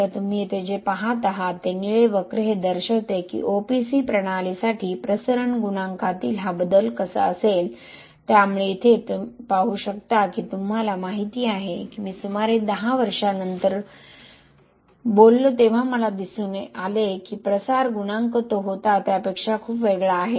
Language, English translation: Marathi, So what you see here is the blue curve shows how this change in diffusion coefficient for an OPC system would be, so you can see here that you knowwhen I talk about after about 10 years I see that diffusion coefficient is very different than what it was in the year 1 okay for a normal curing condition which you talk about and exposure